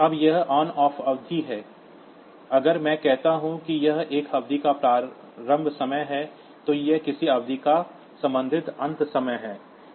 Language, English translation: Hindi, Now, this on period to off period, so this is if I say that this is the start time of a period then this is the corresponding n time of a period